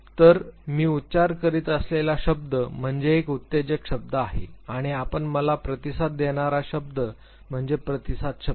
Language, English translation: Marathi, So, the word that I pronounce is the stimulus word and the word that you respond back to me is the response word